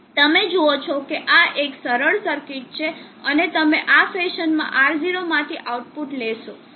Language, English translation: Gujarati, You see this is a simple circuit and you tend the output across R0 in this fashion